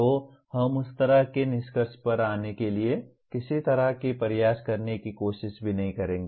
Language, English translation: Hindi, So we will not even attempt to kind of make a try to come to some kind of a conclusion going through that